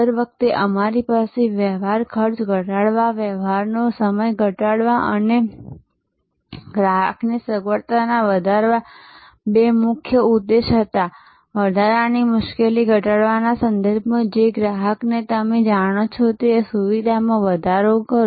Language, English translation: Gujarati, Every time we had two major objectives to lower the transaction cost, lower the transaction time and increase customer’s convenience, increase customer’s you know convenience in terms of decreasing the hassle extra movements